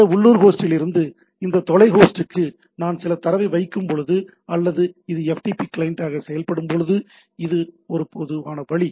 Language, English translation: Tamil, So, this is a typical way of looking at it when I put some data from this local host to this remote host or where it acts as a FTP client and this is a FTP server